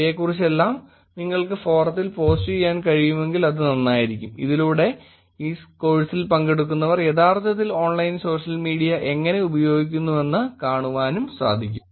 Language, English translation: Malayalam, If you can post all this in forum it will be nice to see how the participants of this course are actually using Online Social Media